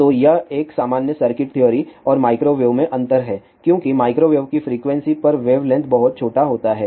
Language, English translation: Hindi, So, that is the difference in a normal circuit theory and in at microwave because at microwave frequency is very high wavelength is very small